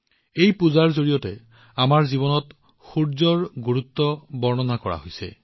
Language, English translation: Assamese, Through this puja the importance of sunlight in our life has been illustrated